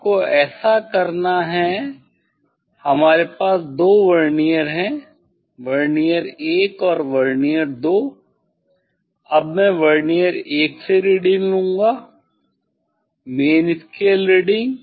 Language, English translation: Hindi, You have to so we have 2 Vernier: Vernier 1 and Vernier 2, now I will take reading from Vernier 1